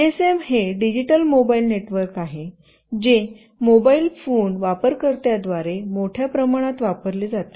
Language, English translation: Marathi, GSM is a digital mobile network that is widely used by mobile phone users